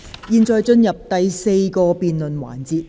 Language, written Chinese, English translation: Cantonese, 現在進入第四個辯論環節。, We now proceed to the fourth debate session